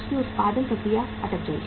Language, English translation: Hindi, Their production process got stuck